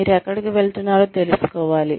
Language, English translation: Telugu, You should know, where you are headed